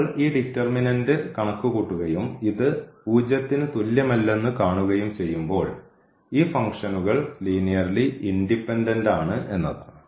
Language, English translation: Malayalam, So, when we compute this determinant and we see that this is not equal to 0, then these functions are linearly independent